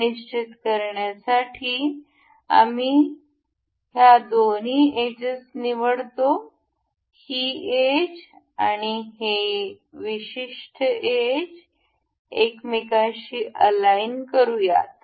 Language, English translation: Marathi, To fix this, we will select the two edges, this edge and this particular edge to make it coincide with each other